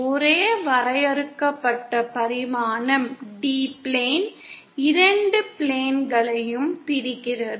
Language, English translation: Tamil, The only finite dimension is the distance D, separating the two planes